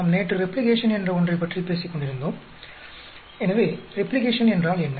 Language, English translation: Tamil, We were yesterday talking about something called Replication